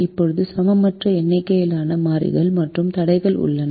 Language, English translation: Tamil, now we have an unequal number of variables and constraints